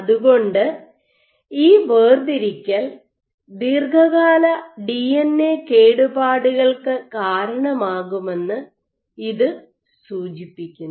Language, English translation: Malayalam, So, this suggests that this segregation can be a cause of DNA damage long term